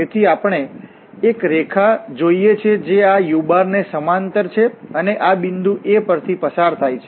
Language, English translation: Gujarati, So, we want to have a line which is parallel to this u and passes through this point A